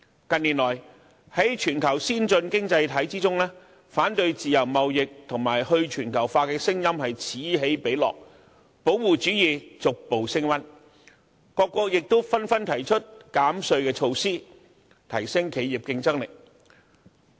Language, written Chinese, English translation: Cantonese, 近年來，在全球先進經濟體之中，反對自由貿易和去全球化的聲音此起彼落，保護主義逐步升溫，各國紛紛提出減稅措施，提升企業競爭力。, In recent years among the worlds advanced economies there are increasing voices against free trade sentiments and globalization . Protectionism is gaining momentum and various countries are proposing tax reduction measures to enhance the competitiveness of their enterprises